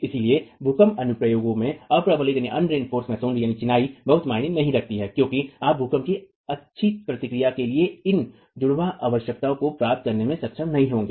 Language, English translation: Hindi, So unreinforced masonry in earthquake applications doesn't make too much of sense because you will not be able to achieve these twin requirements for good earthquake response